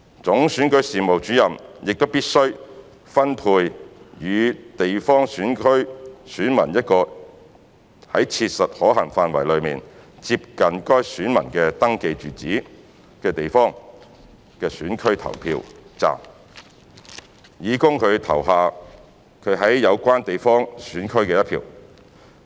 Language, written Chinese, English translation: Cantonese, 總選舉事務主任亦必須分配予地方選區選民一個在切實可行範圍內接近該選民的登記住址的地方選區投票站，以供他投下他在有關地方選區的一票。, The Chief Electoral Officer must also allocate to a geographical constituency GC elector a GC polling station that is as far as practicable close to his or her registered residential address to cast the vote for GC